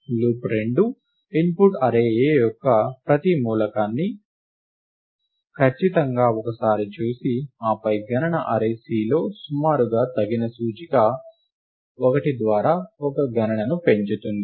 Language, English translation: Telugu, Loop 2 performs a computation by looking at every element of the input array A exactly once and then increasing an approx appropriate index in the count array C by 1